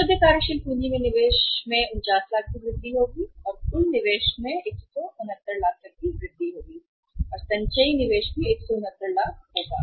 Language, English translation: Hindi, Investment in the net working capital will increase by 49 lakhs and total investment will increase by 169 lakhs and cumulative investment will also be 169 lakhs